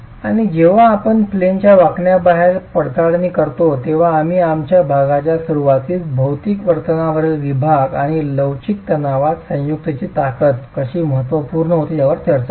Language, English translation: Marathi, And when we examine out of plane bending, we did discuss this aspect at the beginning of our section in the section on material behavior and how the strength of the joint in flexural tension becomes important